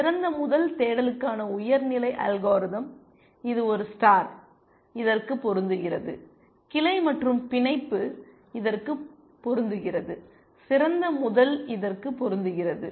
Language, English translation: Tamil, This is the high level algorithm for best first search A star fits into this, branch and bound fits into this, best first fits into this